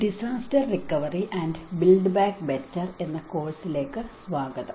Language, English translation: Malayalam, Welcome to the course disaster recovery and build back better